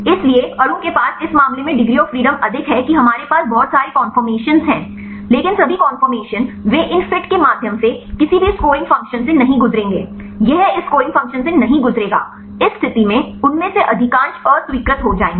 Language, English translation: Hindi, So, the molecule have more degrees of freedom in this case we have lot of conformations, but all the conformations, they won’t pass through these fit any scoring function, it would not pass through this scoring function in the case most of them are rejected